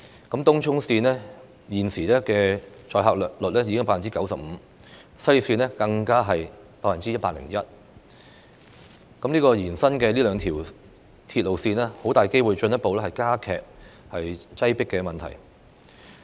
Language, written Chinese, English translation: Cantonese, 東涌綫現時的載客率已經高達 95%， 西鐵綫更達 101%， 這兩條延伸的鐵路線很大機會會進一步加劇鐵路擠迫的問題。, The carrying capacity of Tung Chung Line has reached 95 % while that of the West Rail Line is as high as 101 % . These two extended railway lines will very likely aggravate the crowdedness problem